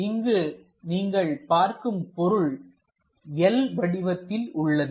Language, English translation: Tamil, Here the object is something like in L shape